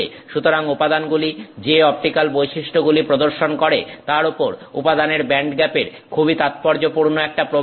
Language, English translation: Bengali, So, band gap has a very significant impact on the optical properties that the material is displaying